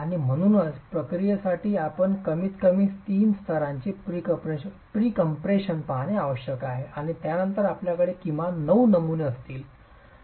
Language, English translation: Marathi, And therefore procedure A would require that you look at at least three levels of pre compression and then you would have at least nine specimens in all